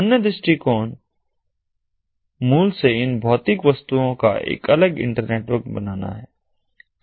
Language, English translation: Hindi, the other approach is to build a separate internetwork of these physical objects from scratch